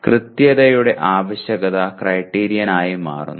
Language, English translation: Malayalam, That requirement of accuracy becomes the criterion